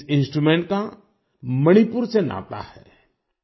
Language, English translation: Hindi, This instrument has connections with Manipur